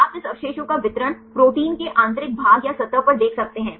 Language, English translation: Hindi, You can see the distribution of this residues at the interior of the protein or at the surface